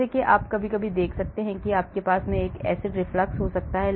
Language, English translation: Hindi, so as you can see sometimes you can have an acid reflux coming in, then it can lead to heartburn